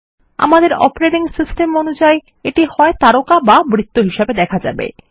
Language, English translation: Bengali, Depending on which operating system we are using, this will appear as stars or circles